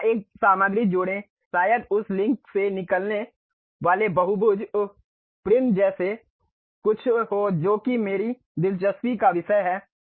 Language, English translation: Hindi, Add a material here maybe something like a polygonal uh prism coming out of that link that is the thing what I am interested in